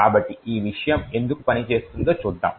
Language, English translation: Telugu, So, let us see why this thing would work